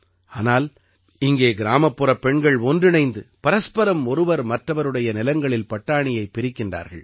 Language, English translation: Tamil, But here, the women of the village gather, and together, pluck peas from each other's fields